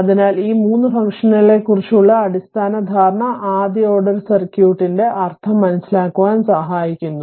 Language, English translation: Malayalam, So, basic understanding of these 3 functions helps to make sense of the first order circuit right